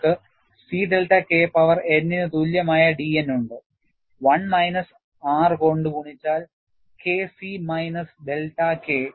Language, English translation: Malayalam, And you have da by dN equal to C delta K power n divided by 1 minus R multiplied by K C minus delta K